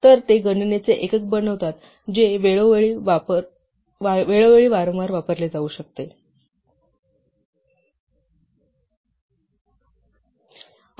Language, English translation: Marathi, So, they constitute a unit of computation which can be used repeatedly from time to time